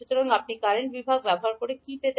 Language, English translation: Bengali, So, what you get using current division